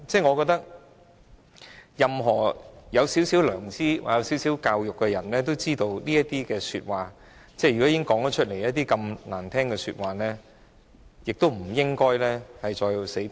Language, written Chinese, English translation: Cantonese, 我覺得，任何有少許良知或少許教育的人，都知道在說出這麼難聽的說話後，便不應該再"死撐"。, I think any conscientious and educated persons should know that they should stop putting up any more lame excuses after having made such unpleasant remarks